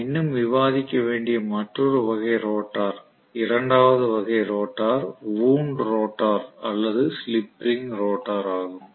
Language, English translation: Tamil, The other type of rotor which we are yet to discuss, the second type of rotor is wound rotor or slip ring rotor